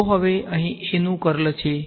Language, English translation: Gujarati, So now, that is the curl of A over here